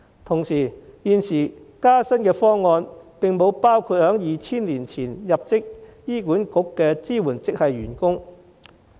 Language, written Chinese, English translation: Cantonese, 同時，現有加薪方案並不包括2000年前入職醫管局的支援職系員工。, Meanwhile the existing proposal for pay increase does not cover supporting staff who joined HA before 2000